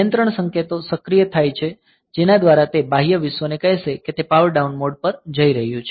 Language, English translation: Gujarati, So,me control signals are activated by which it will tell external world that it is moving to power down mode